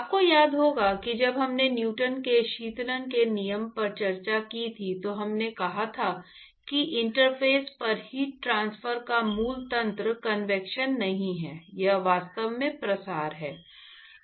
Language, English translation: Hindi, You may remember that when we discussed Newton’s law of cooling, we said that the basic mechanism of heat transport at the interface is actually not convection it is actually diffusion